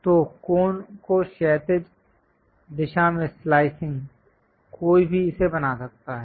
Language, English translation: Hindi, So, slicing the cone in the horizontal direction, one can make it